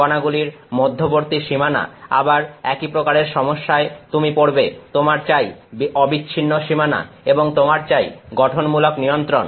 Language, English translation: Bengali, Boundaries between particles, again the same issue you have you want continuous boundaries and you want compositional control